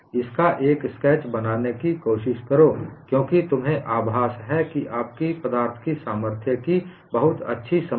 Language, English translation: Hindi, Try to make a sketch of it, because you have a feeling that you have learnt strength of materials very well